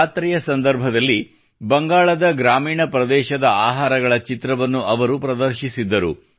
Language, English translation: Kannada, He had showcased the food of rural areas of Bengal during a fair